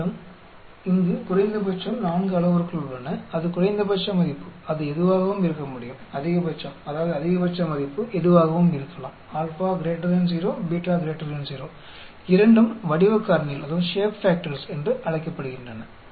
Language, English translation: Tamil, You have 4 parameters here minimum, that is the minimum value it can be anything, maximum that is a maximum value anything alpha is greater than 0, beta is greater than 0 both are called the Shape factors